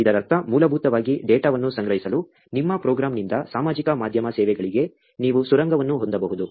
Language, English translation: Kannada, This basically means that, you can actually have a tunnel that is from your program to the social media services, to collect data